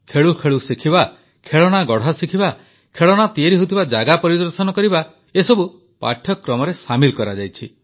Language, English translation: Odia, Learning while playing, learning to make toys, visiting toy factories, all these have been made part of the curriculum